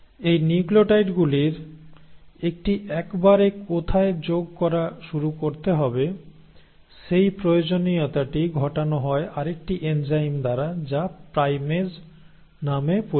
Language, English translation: Bengali, Now this requirement of where to start adding these nucleotides one at a time, is brought about by another enzyme which is called as the primase